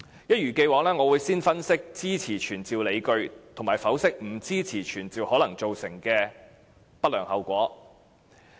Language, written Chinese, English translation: Cantonese, 一如既往，我會先分析支持傳召議案的理據，以及剖析不支持這樣做可能造成的不良後果。, As usual I will give an analysis of my grounds for supporting the summoning motion . I will also analyse the undesirable consequences of not supporting this motion